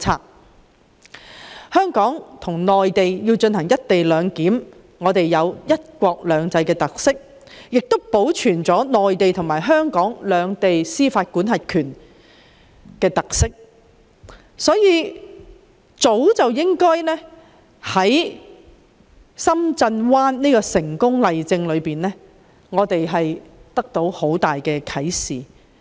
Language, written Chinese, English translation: Cantonese, 在香港與內地實施"一地兩檢"，既可彰顯"一國兩制"的特點，亦能保存內地及香港各自擁有司法管轄權的特色，這是我們早已從深圳灣口岸的成功例證中獲得的莫大啟示。, By implementing co - location arrangement between Hong Kong and the Mainland we can demonstrate the characteristics of one country two systems while at the same time preserve the special feature that the Mainland and Hong Kong can retain their respective jurisdictions . This is one great inspiration given to us by the successful example of the Shenzhen Bay Port